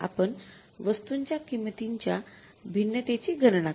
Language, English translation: Marathi, You will calculate the material price variance